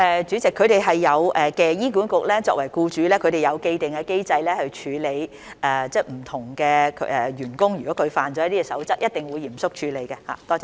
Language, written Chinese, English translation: Cantonese, 主席，醫管局作為僱主，已有既定機制處理員工違反守則的情況，他們一定會嚴肅處理。, President as an employer HA has an established mechanism to handle violation of codes by its staff members . They will certainly handle it seriously